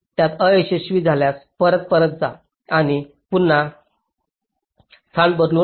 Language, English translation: Marathi, if it fails, you again go back and change the placement